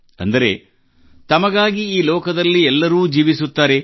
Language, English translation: Kannada, That is, everyone in this world lives for himself